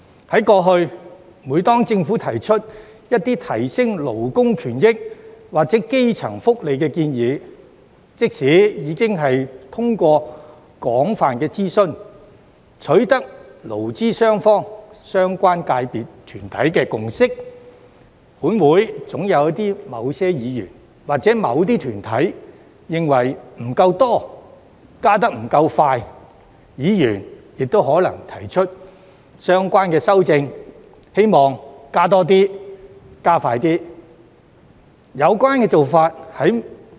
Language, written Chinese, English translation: Cantonese, 以往，每當政府提出改善勞工權益或基層福利的建議，即使已進行廣泛諮詢，並取得勞資雙方或相關界別、團體共識，本會總有某些議員或某些團體認為加幅不夠多、步伐不夠快，議員亦可能提出相關修正案，以調整加幅和加快步伐。, In the past whenever the Government put forward proposals to improve labour benefits or the welfare of the grass roots certain Members in this Council or organizations have always found the rate and pace of increase too low despite extensive consultation and consensus reached between employers and employees or relevant sectorsorganizations . Members might also propose relevant amendments to adjust the rate of increase and expedite the pace